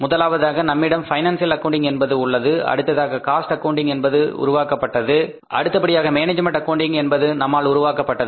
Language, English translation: Tamil, We have first of all financial accounting then we develop the cost accounting and then we develop the management accounting